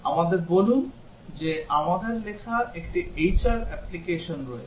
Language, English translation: Bengali, Let us say we have a HR application that we have written